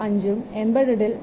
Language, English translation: Malayalam, 35 and for embedded it is 0